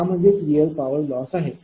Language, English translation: Marathi, What will be the power loss